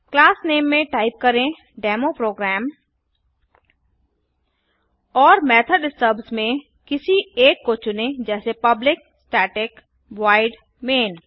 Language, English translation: Hindi, In the class name type DemoProgram and in the method stubs select one that says Public Static Void main